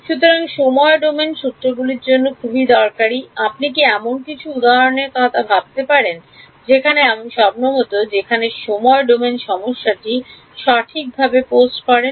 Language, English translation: Bengali, So, very useful for time domain formulations, can you think of some examples where you might where the problem is naturally post in the time domain